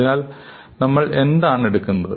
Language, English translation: Malayalam, So, what do we take